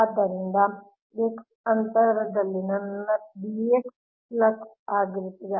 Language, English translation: Kannada, so at a distance x, what will be my b x there